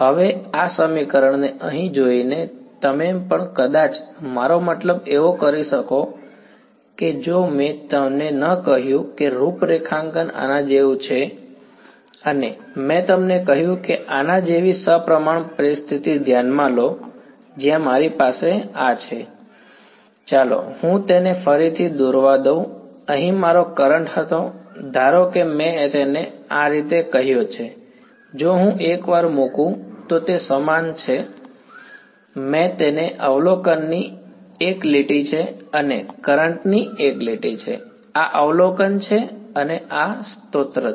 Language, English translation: Gujarati, Now looking at this equation over here you may as well I mean if I did not tell you that the configuration was like this and I told you consider a symmetric situation like this where I have this; let me draw it again right this was my current over here, supposing I called it like this, it’s the same right whether I put the once, I have got it down to one line of observation and one line of current right this is the observation and this is the source